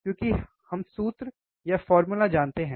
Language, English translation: Hindi, Because that we know the formula